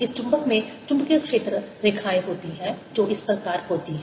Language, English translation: Hindi, this magnet has a magnetic field lines going like this as the magnet comes down at each point here